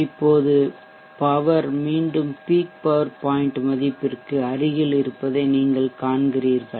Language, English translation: Tamil, Now you see that the power is back again close to the peak power point